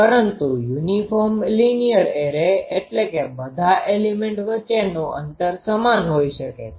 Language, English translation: Gujarati, But uniform linear array means the spacing between all the elements are same